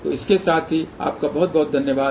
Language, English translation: Hindi, So, with that thank you very much